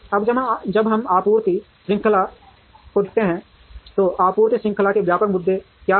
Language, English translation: Hindi, Now, when we look at supply chain what are the broad issues in supply chain